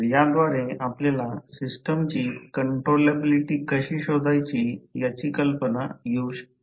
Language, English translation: Marathi, So, with this you can get an idea that how to find the controllability of the system